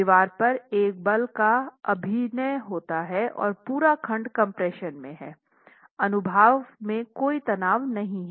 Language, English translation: Hindi, So there is moment acting on the wall and the entire section is in compression, no tension in the cross section yet